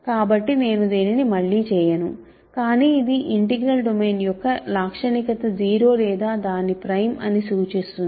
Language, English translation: Telugu, So, I will not do this again, but this shows that characteristic of an integral domain is either 0 or its prime ok